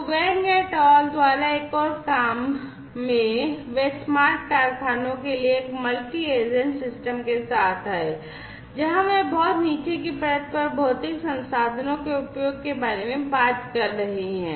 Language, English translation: Hindi, they came up with a multi agent system for smart factories, where they are talking about use of physical resources at the very bottom layer